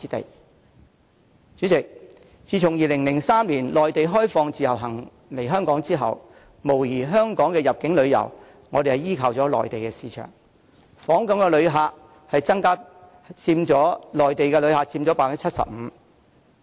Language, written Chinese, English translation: Cantonese, 代理主席，自2003年內地開放讓自由行旅客來港後，香港入境旅遊業無疑依靠了內地市場，訪港旅客中有超過 75% 為內地旅客。, Deputy President since the introduction of the Individual Visit Scheme by the Mainland in 2003 inbound tourism of Hong Kong has undoubtedly relied heavily on the Mainland market and over 75 % of the total visitor arrivals are visitors from the Mainland